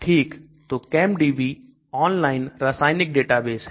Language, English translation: Hindi, Okay so ChemDB is a chemical database online